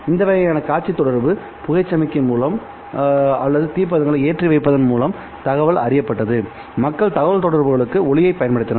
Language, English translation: Tamil, This kind of a visual communication via smoke signal or by lighting up torches and then relaying the information was known